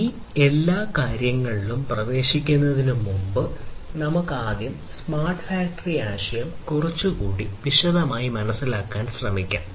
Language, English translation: Malayalam, So, let us before getting into all of these things let us first try to understand this smart factory concept in little bit more detail